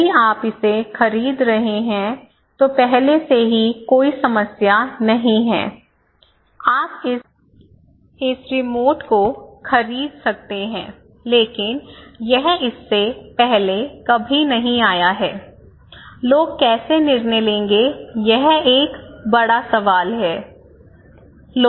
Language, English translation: Hindi, If you are buying this one is already existing a community no problem, you can buy this remote but if you are; if this one is not available, never came before so, how people would make a decision that is a big question